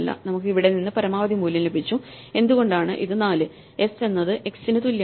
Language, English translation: Malayalam, So, we got the max value from here why is this 4, Oh s is equal to x